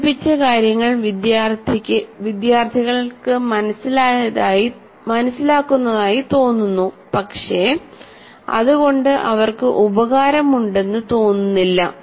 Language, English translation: Malayalam, Students seem to be understanding what is presented, but it doesn't make any meaning to them